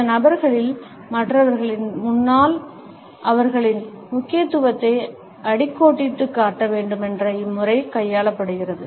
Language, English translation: Tamil, In these people, we find that it is a deliberate statement to underscore their significance in front of other people